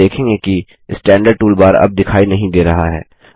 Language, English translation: Hindi, You see the Standard toolbar is no longer visible